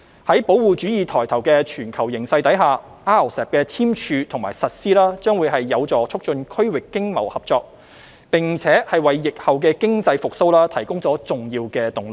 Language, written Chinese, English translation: Cantonese, 在保護主義抬頭的全球形勢下 ，RCEP 的簽署和實施將有助促進區域經貿合作，並為疫後經濟復蘇提供重要動力。, With the rising of protectionism around the world the signing and implementation of RCEP will be conducive to promoting regional economic and trade cooperation and provide an important impetus for economic recovery after the epidemic